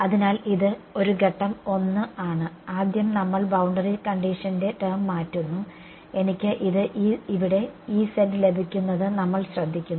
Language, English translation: Malayalam, So, I am just this is sort of step 1 first we just change the boundary condition term and we notice that I get a E z over here ok